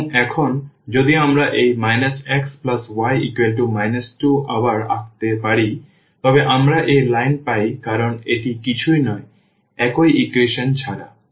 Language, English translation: Bengali, And, now if we draw this minus x plus y is equal to minus 2 again we get the same line because, this is nothing, but the same equation